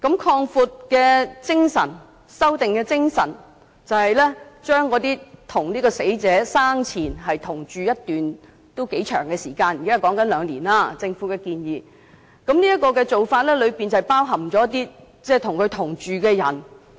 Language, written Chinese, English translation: Cantonese, 擴大和修訂的精神就是，將與死者生前同住一段頗長時間——現在政府的建議是最少兩年——包含在"相關人士"的定義之內。, The spirit of such an extension and amendment is to include persons who had been living with the deceased for a considerable period of time―the Governments current proposal is at least two years―in the definition of related person